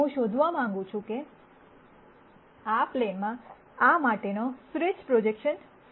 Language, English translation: Gujarati, I want to nd what is the best projection for this onto this plane